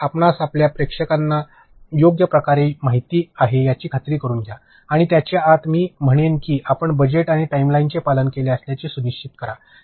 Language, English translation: Marathi, So, make sure that you know your audience properly and within that also, I would say that make sure you adhere to budgets and timelines